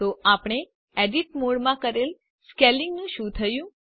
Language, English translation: Gujarati, So what happened to the scaling we did in the edit mode